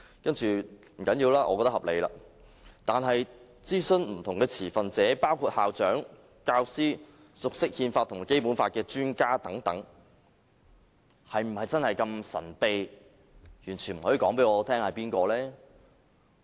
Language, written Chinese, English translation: Cantonese, 不要緊，我認為是合理的，但諮詢不同的持份者，包括校長、教師、熟悉憲法和《基本法》的專家等，則是否真的如此神秘，完全不能告訴我們諮詢了誰呢？, Okay I agree that it is reasonable to consult these two departments . But must it be so very secretive about which stakeholders were also consulted? . Must it be so secretive about the names of those headmasters teachers and Basic Law experts who were consulted?